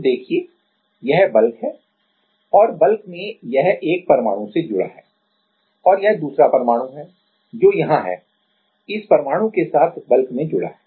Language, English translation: Hindi, So, see that this is the bulk and in the bulk it is connected to one atom and then the another atom is there which is also connected in the bulk right with this atom also this is connected